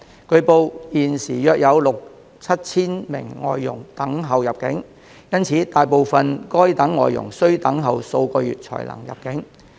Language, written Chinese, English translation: Cantonese, 據報現時約有六、七千名外傭等候入境，因此大部分該等外傭需等候數個月才能入境。, It has been reported that as there are currently about 6 000 to 7 000 FDHs waiting to come to Hong Kong a majority of such FDHs will have to wait for several months before they can enter Hong Kong